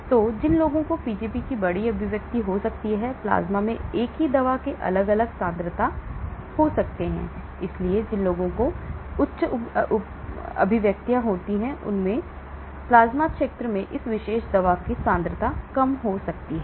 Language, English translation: Hindi, So, people who may have large expression of Pgp may have different concentrations of the same drug in the plasma and those who have high expressions of Pgp may have lower concentrations of this particular drug in the plasma region